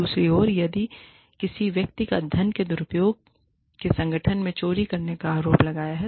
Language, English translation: Hindi, On the other hand, if a person has been accused, of stealing from the organization, of misappropriating funds